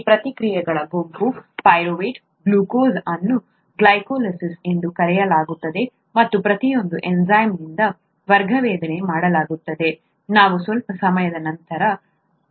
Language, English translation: Kannada, This set of reactions, glucose to pyruvate is called glycolysis and each one is catalysed by an enzyme, we will come to that a little later